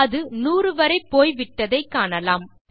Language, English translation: Tamil, You can see it has gone to hundred